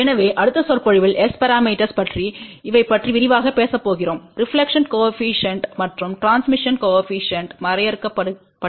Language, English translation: Tamil, So, in the next lecture we are going to talk in more detail about S parameters, how these reflection coefficients and transmission coefficients are define